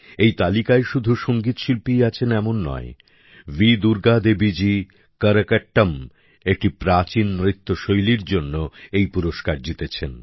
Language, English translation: Bengali, This list doesn't just pertain to music artistes V Durga Devi ji has won this award for 'Karakattam', an ancient dance form